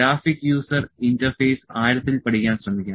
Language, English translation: Malayalam, So, the graphic user interface one can try to learn in depth also